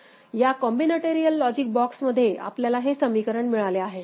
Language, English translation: Marathi, Within this combinatorial logic box, we have got this equation, alright